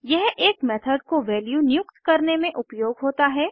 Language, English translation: Hindi, It is used to assign a value to a method